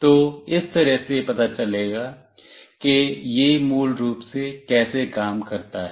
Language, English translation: Hindi, So, this is how it basically works